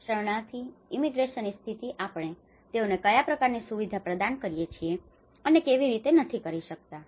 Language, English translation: Gujarati, The refugee, immigration status and what kind of facilities we provide and not